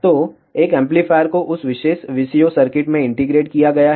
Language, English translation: Hindi, So, an amplifier has been integrated in that particular VCO circuit